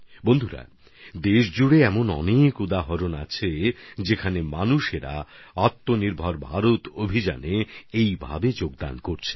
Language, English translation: Bengali, there are many examples across the country where people are contributing in a similar manner to the 'Atmanirbhar Bharat Abhiyan'